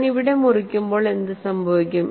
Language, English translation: Malayalam, So, when I cut it here, what happens